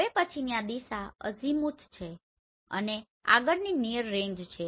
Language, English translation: Gujarati, Now next one is azimuth in this direction and next is near range